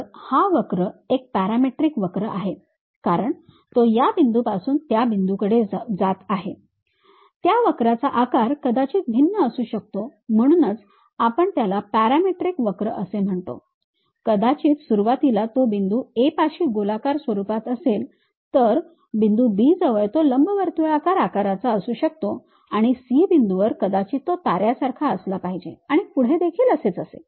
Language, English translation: Marathi, So, this curve it is a parametric curve as it is moving from this point to that point, the shape of that curve might be varying that is the reason what we why we are calling it as parametric curve maybe initially at point A it might be in circular format; at point B it might be ellipse elliptical kind of shape; at point C it might be having something like a star kind of form and so on